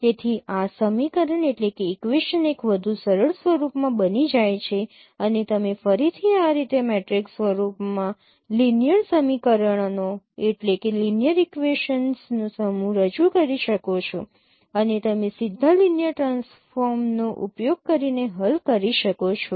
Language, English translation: Gujarati, So this equation becomes a in a much more simpler form and you can represent the set of linear equations again in the matrix form in this in this way and you can solve using direct linear transform